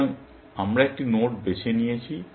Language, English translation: Bengali, So, we have picked a node